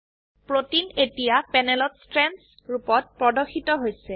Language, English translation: Assamese, The protein is now displayed as Strands on the panel